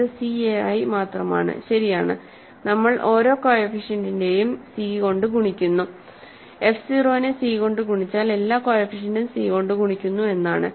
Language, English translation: Malayalam, This is just c a i, right we are multiplying every coefficient by c multiplying f 0 by c means every coefficient by c